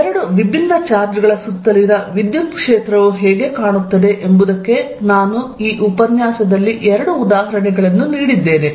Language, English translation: Kannada, So, these are some example of the field, I given in two examples of what electric field around two different charges looks like